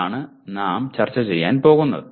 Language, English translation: Malayalam, That is what we are going to do that